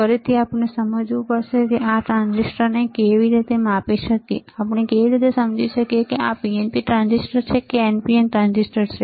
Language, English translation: Gujarati, Again we have to understand how we can measure the transistors, how we can understand whether this is PNP transistor is the NPN transistor